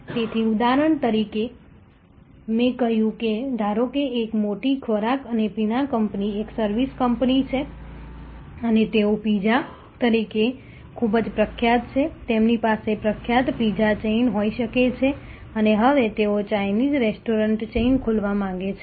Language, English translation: Gujarati, So, the example that I said suppose there is a big food and beverage company a service company and they are now, they are quite famous as a pizza, they may have famous pizza chain and now, they want to open A Chinese restaurant chain